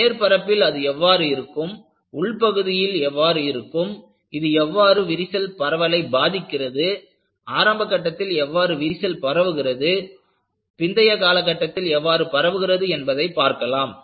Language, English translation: Tamil, How does it look at the surface, how does it look at the interior and you will also like to know, how does it affect the propagation of crack, how does it propagate at initial stages, how does it propagate at the later stages